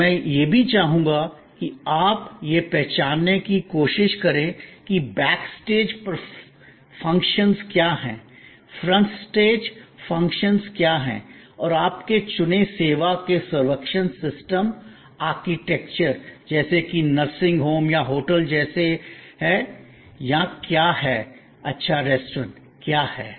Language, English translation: Hindi, And I would like also, that you try to distinguish that, what are the back stage functions, what are the front stage functions and what is the architecture of the servuction system of your choosing service like the nursing home or like the hotel or like a good restaurant